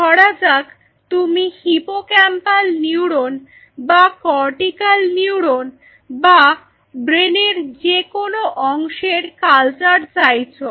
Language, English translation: Bengali, So, for example, you want culture they have hippocampal neuron or cortical neuron or any part of the brain